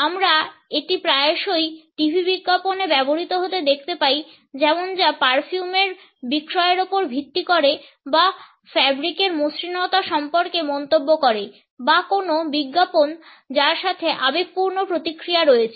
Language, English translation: Bengali, We find it often used in TV advertisements which are based on the sales of perfumes or comments on the smoothness of fabric for example or any advertisement which has emotional reactions associated with it